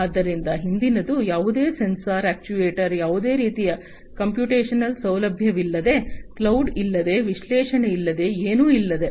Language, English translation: Kannada, So, the previous one was without any sensors, actuators, without any kind of computational facility, no cloud, no analytics, nothing